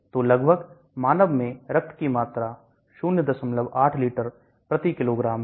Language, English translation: Hindi, So approximately human has a blood volume of